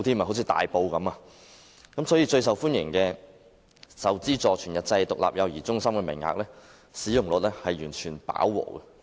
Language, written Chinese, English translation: Cantonese, 所以，最受家長歡迎的受資助全日制獨立幼兒中心的名額，使用率已經完全飽和。, Therefore the utilization rate of subsidized full - day independent child care centre places which are most popular among parents has been fully saturated